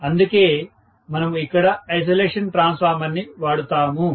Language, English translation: Telugu, That is the reason why we use an isolation transformer here